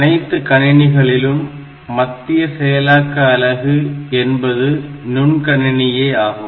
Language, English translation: Tamil, So, any computer that has got a microprocessor as its central processing unit is a microcomputer